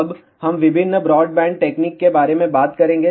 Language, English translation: Hindi, Now, we will talk about various broadband techniques